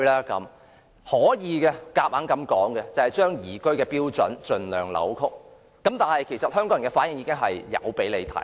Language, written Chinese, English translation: Cantonese, 答案是強行把宜居的標準盡量扭曲，但香港人的反應已表達出來。, The answer is that the standards of liveability should be forcibly distorted as far as possible but Hong Kong people have voiced their response